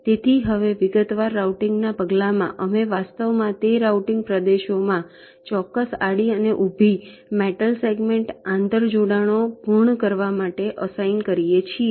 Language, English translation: Gujarati, so now, in the step of detailed routing, we actually assign exact horizontal and vertical metal segments in those routing regions so as to complete the inter connections